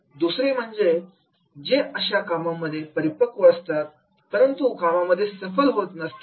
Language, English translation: Marathi, Second, is those who are expert in their jobs but they are not successful